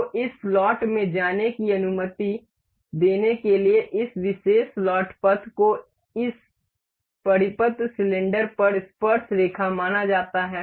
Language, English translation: Hindi, So, in order to make allow this to move into this slot this particular slot path is supposed to be tangent on this circular cylinder